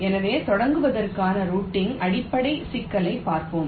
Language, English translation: Tamil, so let us see basic problem of routing to start with